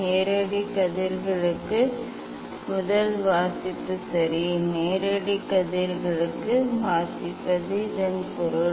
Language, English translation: Tamil, first reading for direct rays ok, reading for direct rays means this